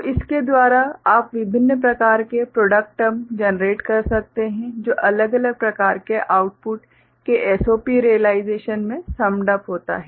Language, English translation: Hindi, So, by that you can generate different kind of product terms, which gets summed up in a SOP realization of different kind of output ok